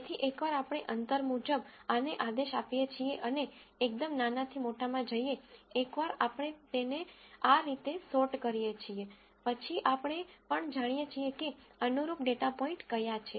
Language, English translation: Gujarati, So, once we order this according to distance and go from the smallest to largest, once we sort it in this fashion, then we also know what the correspond ing data points are